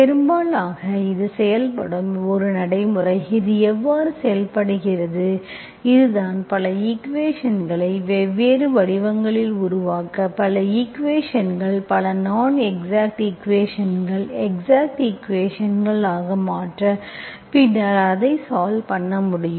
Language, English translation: Tamil, Most of the text books, these are the things, but this is a procedure that works, this is how it works, this is how you make many, many equations in different forms, many equations you can, many non exact equations, you can convert into exact equation and then solve it